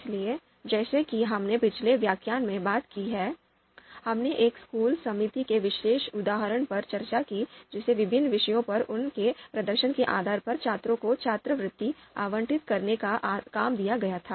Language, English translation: Hindi, So as we have talked about in the previous lecture, we discussed the particular example of a school committee given the task of allocating the scholarships to students based on their performance on various subjects